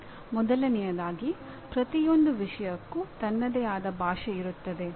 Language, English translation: Kannada, First of all every subject has its own language